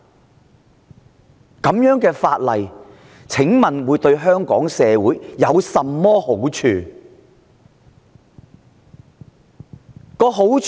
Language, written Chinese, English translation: Cantonese, 請問這樣的法案對香港社會有甚麼好處？, May I ask what good the Bill will bring to society of Hong Kong?